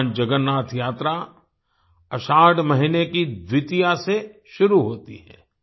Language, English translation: Hindi, Bhagwan Jagannath Yatra begins on Dwitiya, the second day of the month of Ashadha